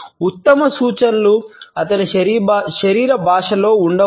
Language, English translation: Telugu, The best cues may lie in his body language